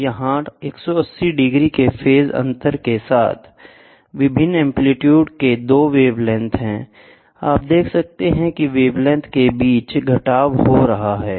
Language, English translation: Hindi, So, here 2 wavelengths of different amplitudes with phase difference of 180 degrees, you can see there is a subtraction happening between the wavelength